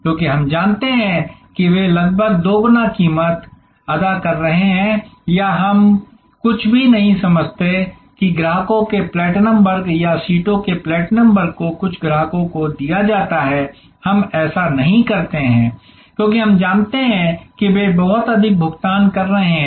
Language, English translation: Hindi, Because, we know they are paying almost double the price or we do not grudge, that the platinum class of customers or the platinum class of seats are given to certain customers, we do not, because we know that they are paying much higher